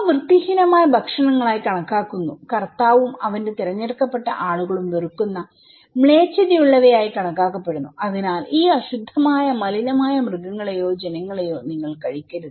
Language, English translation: Malayalam, And they are considered unclean foods considered to be monster okay, abominated by the Lord and by his chosen people, so you should not eat these unclean polluted anomaly animals or species, okay